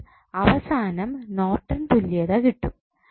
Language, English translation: Malayalam, So, finally what would be your Norton's equivalent